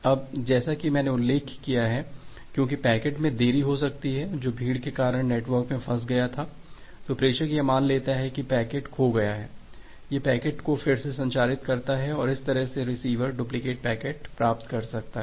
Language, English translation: Hindi, Now as I have mentioned that because the packet may get delayed and got stuck in the network due to congestion, the sender assumes that the packet has been lost, it retransmit the packet and that way the receiver can get the duplicate packets